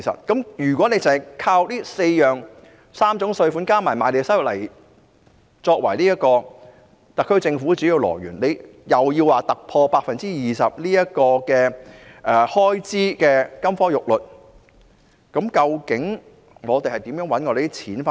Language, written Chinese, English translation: Cantonese, 因此，單純依靠3項稅收加上賣地收入作為特區政府的主要收入來源，還要突破開支 20% 的金科玉律，究竟政府的錢從何來？, Therefore given the heavy reliance of the SAR Government on three forms of taxation and land premium as its major source of revenue and the need to break the golden rule of capping public expenditure at 20 % of GDP where does the money of the Government come from?